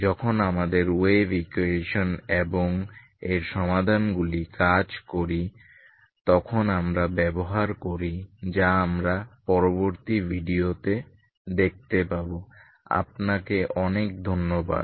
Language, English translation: Bengali, So that we make use when we work with our wave equation and its solutions ok so that we will see in the next video thank you very much